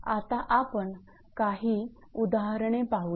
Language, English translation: Marathi, Now we will go for few examples right